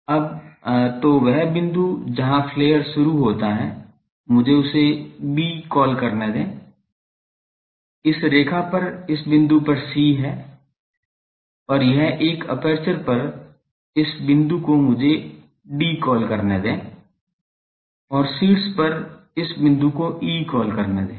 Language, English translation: Hindi, Now so, the point where the flare is started let me call it B, on this line on this line this point is C and this one is called this point on the aperture let me call D and this point at the top let me call E